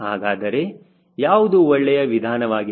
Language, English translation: Kannada, so what is a better approaches